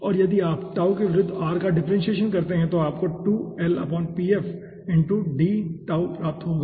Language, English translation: Hindi, and if you do the differentiation of r with respect to tau, you will be getting dr is equals to 2l by pf into d tau